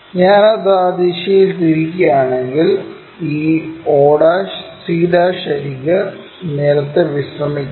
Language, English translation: Malayalam, If I am rotating it in that direction this o' c' edge has to be resting on the ground